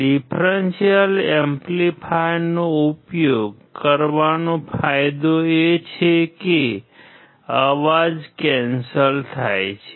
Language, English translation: Gujarati, The advantage of using a differential amplifier is that the noise gets cancelled out